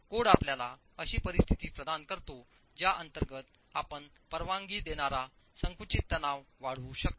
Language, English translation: Marathi, The code gives you the conditions under which you can increase the permissible compressive stress